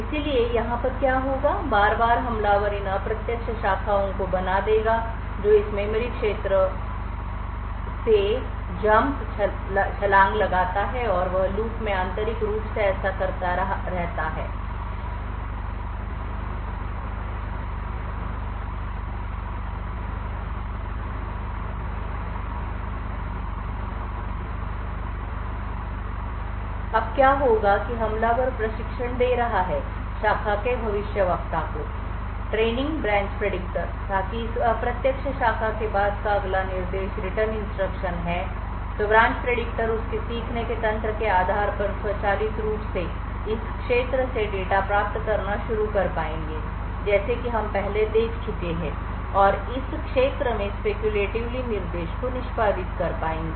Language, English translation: Hindi, So therefore what would happen over here is repeatedly the attacker would make these indirect branches which Jump jumps to this region off memory and he keeps doing this in a loop internally what happens is that the attackers is training the branch predictor that the next instruction following this indirect branch is the return instruction so the branch predictor based on its learning mechanisms like the thing like we have seen before would then be able to automatically start fetching data from this region and speculatively execute the instructions present in this region